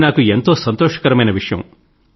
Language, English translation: Telugu, That gave me a lot of satisfaction